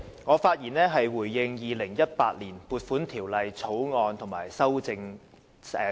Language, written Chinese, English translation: Cantonese, 我發言回應《2018年撥款條例草案》及其修正案。, I speak in response to the Appropriation Bill 2018 and its amendments